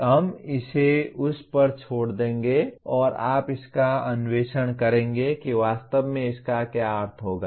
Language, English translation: Hindi, We will just leave it at that and you explore what exactly this would mean